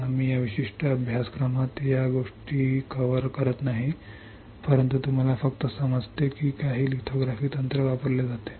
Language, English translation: Marathi, We are not covering these things in this particular course, but you just understand that some lithography technique is used